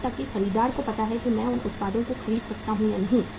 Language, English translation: Hindi, Even the buyer knows that whether I can afford or not to buy these products